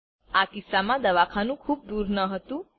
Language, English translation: Gujarati, In this case, the hospital was not far away